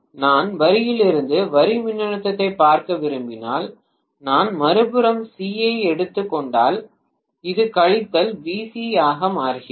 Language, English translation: Tamil, If I want to look at the line to line voltage for example if I take C on the other side this becomes minus VC